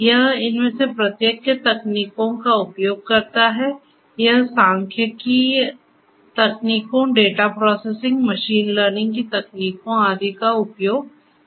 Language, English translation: Hindi, It uses techniques from each of these it uses; statistical techniques, data processing, machine learning techniques and so on